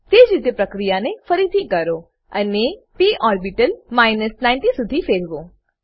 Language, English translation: Gujarati, Likewise, repeat the process and rotate the p orbital to 90